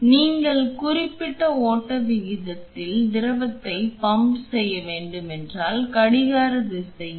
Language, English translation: Tamil, So, if you have to pump fluid at a certain flow rate, then in a clockwise direction